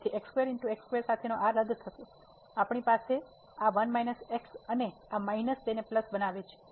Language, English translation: Gujarati, So, this with square will get cancel we have this one minus and this minus will make it plus